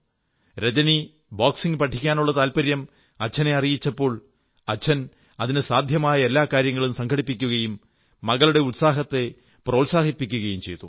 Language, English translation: Malayalam, When Rajani approached her father, expressing her wish to learn boxing, he encouraged her, arranging for whatever possible resources that he could